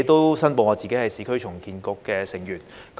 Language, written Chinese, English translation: Cantonese, 我亦申報我是市區重建局的成員。, I declare that I am a member of the Urban Renewal Authority